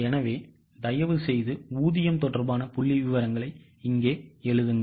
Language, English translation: Tamil, Fine, so please write the wage related figures here